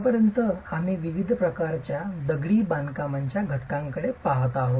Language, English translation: Marathi, So far we've been looking at the different types of masonry elements